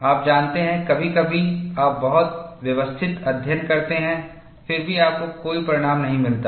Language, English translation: Hindi, You know, sometimes you do a very systematic study, yet you do not get a result